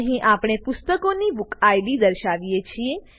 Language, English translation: Gujarati, Here we display the BookId of the book